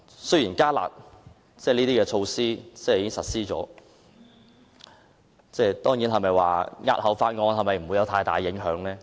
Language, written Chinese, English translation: Cantonese, 雖然"加辣"措施已經實施，但押後討論《條例草案》是否沒有太大影響？, Although the enhanced curb measure has already been implemented is it true that postponing the discussion of the Bill will not have much impact?